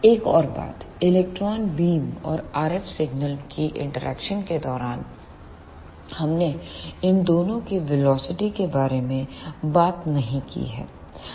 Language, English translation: Hindi, One more thing during the interaction of electron beam and the RF signal, we have not talked about the velocities of these two